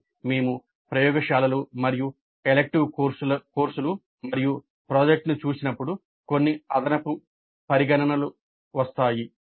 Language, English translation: Telugu, But when we look at laboratories and elective courses and project, certain additional considerations do come into picture